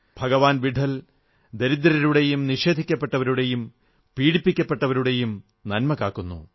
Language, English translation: Malayalam, Lord Vitthal safeguards the interests of the poor, the deprived ones and the ones who are suffering